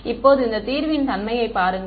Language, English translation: Tamil, Now, just look at the nature of this solution